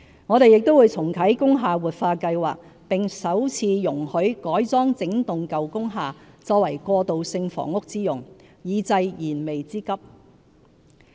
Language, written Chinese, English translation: Cantonese, 我們亦會重啟"工廈活化計劃"，並首次容許改裝整幢舊工廈作過渡性房屋之用，以濟燃眉之急。, We will also reactivate the revitalization scheme for industrial buildings and in order to address the imminent housing problem allow for the first time wholesale conversion of industrial buildings for transitional housing